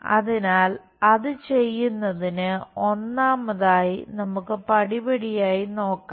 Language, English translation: Malayalam, So, to do that, first of all let us look at step by step